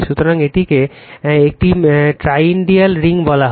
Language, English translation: Bengali, So, it is consider a toroidal ring